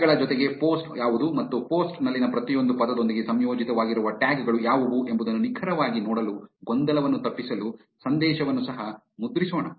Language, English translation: Kannada, In addition to tags, let us also print the message to avoid confusion to see exactly what the post is and what are the tags associated with each word in the post